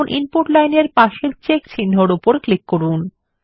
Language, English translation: Bengali, Now click on the check mark next to the Input line